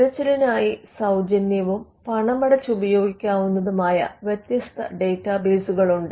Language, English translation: Malayalam, And there are different databases both free and paid, which could be used for a searching